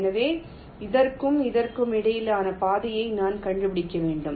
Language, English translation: Tamil, so i have to find out path between this and this